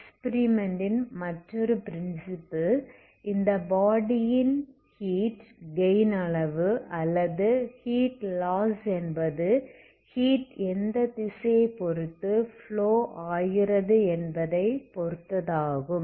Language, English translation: Tamil, Also another principle from the experiment is quantity of heat gain by this body or quantity of heat loss by the body depending on, okay depending on how which direction the heat is flowing